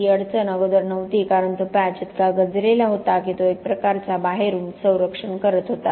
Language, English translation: Marathi, It was not a problem beforehand because that patch was corroding so much it was kind of protecting the outside